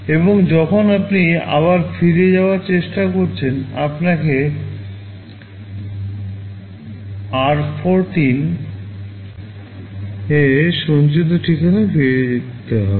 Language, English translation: Bengali, And when you are trying to return back, you will have to jump back to the address that is stored in r14